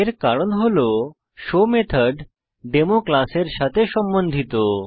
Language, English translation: Bengali, This is because the show method belongs to the class Demo